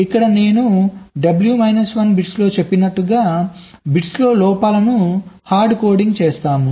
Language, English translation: Telugu, and here, as i said, in this w minus one bits where hard coding the faults into the bits